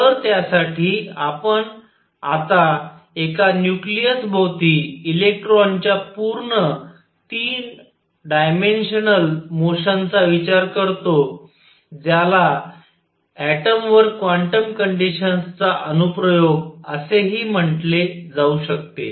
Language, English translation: Marathi, So, for that we now consider a full 3 dimensional motion of the electron around a nucleus which also can be called the application of quantum conditions to an atom